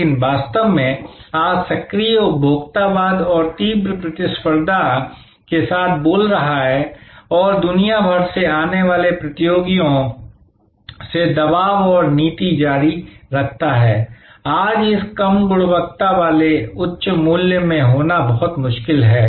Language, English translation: Hindi, But, really speaking today with the kind of active consumerism and intense competition and continues pressure and policy from competitors coming from all over the world, it is very difficult today to be in this low quality high price